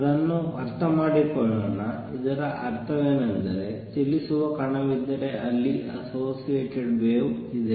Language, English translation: Kannada, Let us understand that, what it means is that if there is a particle which is moving there is a associated wave